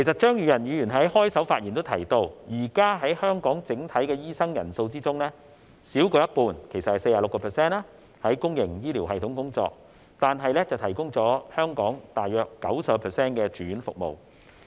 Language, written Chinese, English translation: Cantonese, 張宇人議員在開場發言時提到，現時香港整體的醫生人數中，少於一半在公營醫療系統工作，但提供了大約 90% 的住院服務。, As mentioned by Mr Tommy CHEUNG in his opening speech currently less than half 46 % of the doctors in Hong Kong work in the public healthcare system . Yet the latter provides about 90 % of inpatient services